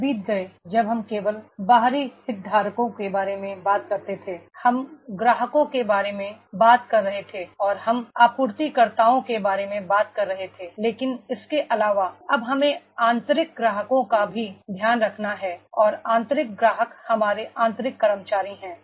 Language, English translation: Hindi, ) Days have gone when we were talking about the external stakeholders only, we were talking about the customers, and we were talking about the suppliers but in addition to this now we have to also take care of the internal customers and internal customers are our internal employees are there